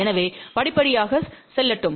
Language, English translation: Tamil, So, let just go through the step